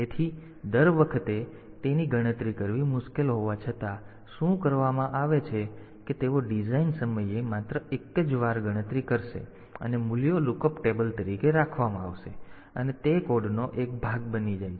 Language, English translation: Gujarati, So though it is difficult to compute it every time; so, what is done is that they are computed once only at the design time and the values are kept as lookup table and that that becomes a part of the code